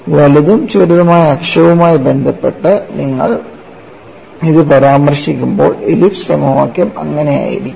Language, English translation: Malayalam, When you refer it with respect to the major and minor axis, ellipse equation would be like that